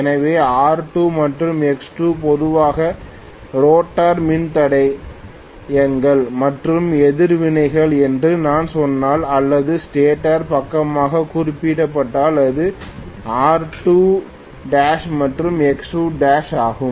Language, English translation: Tamil, So, if I say R2 and X2 are normally the rotor resistants and reactants or referred to the stator side it is R2 dash and X2 dash